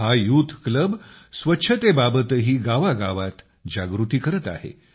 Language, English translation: Marathi, This youth club is also spreading awareness in every village regarding cleanliness